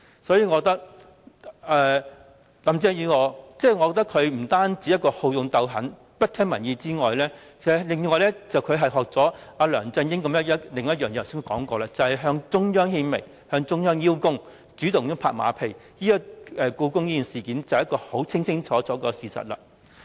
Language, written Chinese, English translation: Cantonese, 所以，我認為林鄭月娥除了好勇鬥狠，不聽民意之外，正如我剛才提及，她更學習到梁振英另一點，便是向中央獻媚，向中央邀功，主動拍馬屁，故宮便是一個清清楚楚的事實。, I hence think that apart from being bellicose and unreceptive to public opinions Carrie LAM is also like LEUNG Chun - ying in one way that I have talked about just now―fawning on the Central Authorities . She likes to boast before the Central Authorities and claim all the credits and she is a sycophant as evidenced by the Hong Kong Palace Museum incident